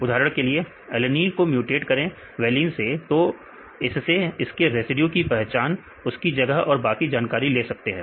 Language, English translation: Hindi, For example, alanine is mutated to valine; they take this mutated residue, position and some other information